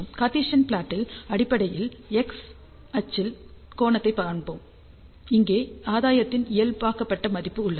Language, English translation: Tamil, So, in Cartesian plot, we basically show the angle along the x axis and this one here is the normalized value of the gain